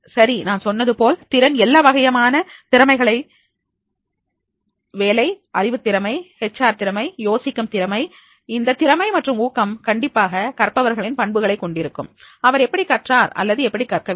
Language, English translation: Tamil, As I mentioned ability, all the types of the skills, the job knowledge skill, HR skills, conceptual skill, if this is the ability and motivation, definitely that will make the trainee's characteristics, that is he has learned or he has not learned